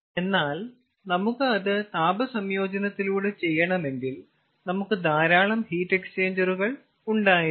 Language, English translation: Malayalam, so when there is heat integration, then we have to use number of heat exchangers